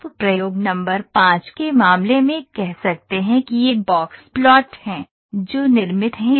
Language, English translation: Hindi, You can say in the case of experiment number of 5 this is the box plots those are produced